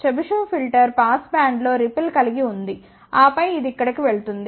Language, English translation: Telugu, Chebyshev filter has a ripples in the pass band, and then it is going over here